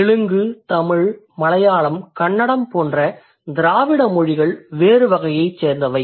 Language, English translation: Tamil, And Dravidian languages like Telugu or Tamil or Malayalam or Canada, that's going to belong to a different type